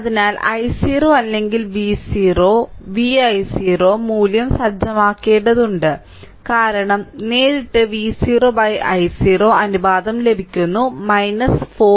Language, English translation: Malayalam, So, need to set i 0 or V 0 V i 0 value, because directly we are getting V 0 by i 0 ratio is minus 4 ohm